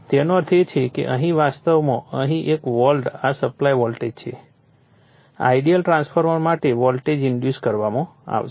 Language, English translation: Gujarati, That means, here a actually here a volt this is supply voltage anyway for the ideal transformer a voltage will be induced